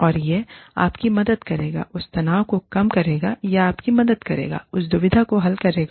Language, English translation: Hindi, And, that will help you, bring down that tension, or that will help you, resolve that dilemma